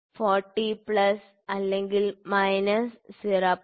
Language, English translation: Malayalam, 3, 40 plus or minus 0